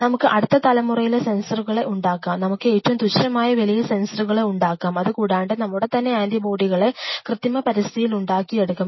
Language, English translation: Malayalam, We can create next generation sensors, we can create the cheapest sensors we can have we can produce our own set of anti bodies in an artificial synthetic system